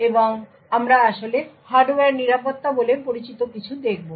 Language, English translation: Bengali, And we will actually look at something known as Hardware Security